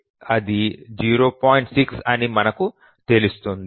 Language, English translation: Telugu, 6 we'll come to that